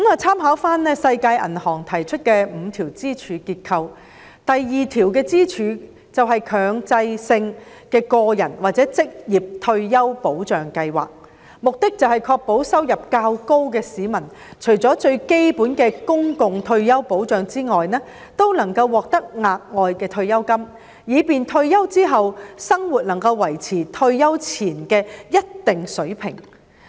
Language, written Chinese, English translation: Cantonese, 參考世界銀行提出的5條支柱結構，第二條支柱是"強制性個人或職業退休保障計劃"，旨在確保收入較高的市民除了最基本的公共退休保障外，也能獲得額外的退休金，以便退休後的生活能夠維持退休前的一定水平。, Let us draw reference from the structure of the five pillars suggested by the World Bank . The second pillar is the mandatory personal or occupational retirement protection scheme with the objective of ensuring for members of the public with a relatively high income access to additional retirement funds apart from the most basic public retirement protection thereby assuring maintenance of their retirement life at a certain living standard similar to the one before their retirement